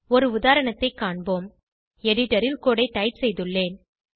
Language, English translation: Tamil, Let us look at an example I have already typed the code on the editor